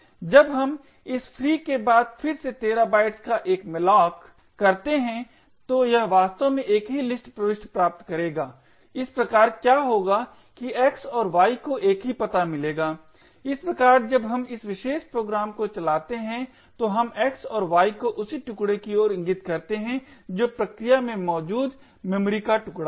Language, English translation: Hindi, When we do a malloc of 13 bytes again after this free it would actually obtain the same list entry thus what would happen is that x and y would get the same address thus when we run this particular program we get x and y pointing to the same chunk of memory present in the process